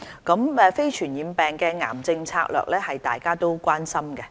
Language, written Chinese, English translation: Cantonese, 對於非傳染病防控及癌症策略，大家都關心。, We all share a concern for the strategies in preventing and controlling cancer and other non - infectious diseases